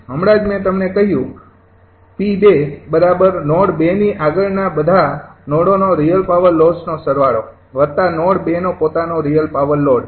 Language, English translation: Gujarati, just i told you the p two is equal to some of the real power loads of all the nodes beyond node two, plus the real power load of node two itself